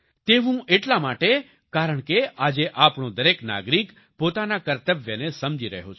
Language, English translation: Gujarati, This is because, today every citizen of ours is realising one's duties